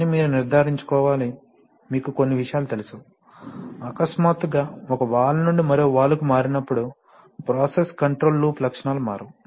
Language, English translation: Telugu, But you have to ensure, you know certain things like, you know transitions such that suddenly when you move from one valve to another valve, the process control loop characteristics do not change